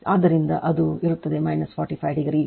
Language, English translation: Kannada, So, it will be minus 45 degree